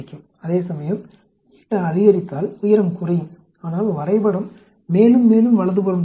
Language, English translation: Tamil, Whereas, if eta is increased the height will decrease but the graph will get pushed more and more to the right